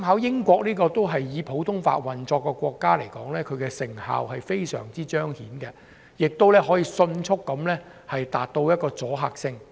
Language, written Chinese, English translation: Cantonese, 英國也是以普通法運作的國家，設立有關法庭，成效非常顯著，迅速產生阻嚇作用。, As the United Kingdom is a country that operates under common law the setting up of a special court had achieved remarkable results and produced imminent deterrent effect